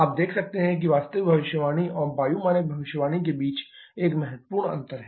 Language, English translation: Hindi, You can see there is a significant difference between the actual prediction and the air standard prediction